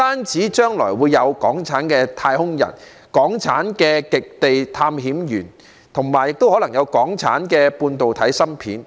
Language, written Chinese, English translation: Cantonese, 將來不但有港產的太空人、港產的極地探險員，還可能有港產的半導體芯片。, In the future Hong Kong may be able to produce astronauts polar explorers or even semiconductor chips